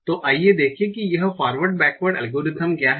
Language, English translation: Hindi, Now what do I do in this forward backward algorithm